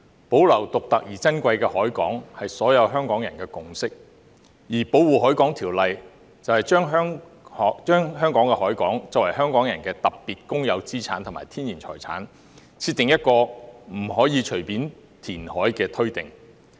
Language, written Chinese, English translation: Cantonese, 保留獨特而珍貴的海港，是所有香港人的共識，而《保護海港條例》就香港的海港作為香港人的特別公有資產及天然財產，設定了不可隨便填海的推定。, It is the consensus of all Hongkongers to preserve the unique and precious harbour and the Protection of the Harbour Ordinance has established a presumption against arbitrary reclamation in respect of Hong Kongs harbour being a special public asset and natural heritage of Hong Kong people